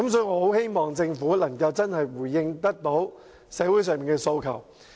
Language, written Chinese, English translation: Cantonese, 我很希望政府能真正回應社會人士的訴求。, I do hope that the Government can genuinely respond to the aspirations of members of the community